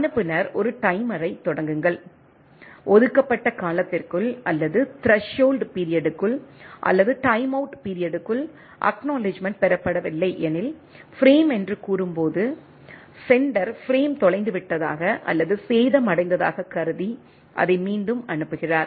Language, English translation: Tamil, Sender start a timer, when it says the frame if an acknowledgement is not received within a allocated time period or within the threshold period or within the timeout period, the sender assume that the frame was lost or damaged and resends it right